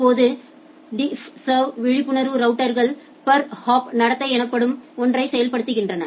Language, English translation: Tamil, Now, DiffServ aware routers implement something called a per hop behaviour